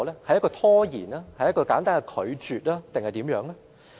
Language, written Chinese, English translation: Cantonese, 是拖延、是簡單的拒絕還是其他？, Will the application be procrastinated flatly refused or what?